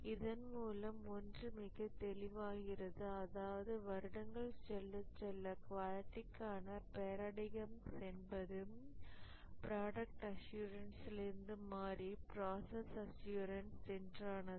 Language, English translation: Tamil, But one thing is clear that over the years the quality paradigm has shifted from product assurance to process assurance